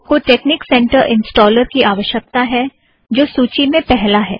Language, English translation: Hindi, You need the texnic center installer which is first on this list